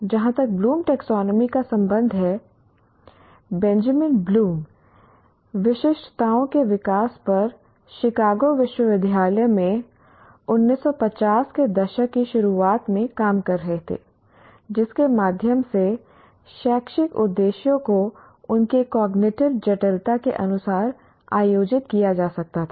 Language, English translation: Hindi, As far as Bloom's taxonomy, Benjamin Bloom was working in early 1950s at the University of Chicago on the development of specifications through which educational objectives could be organized according to their cognitive complexity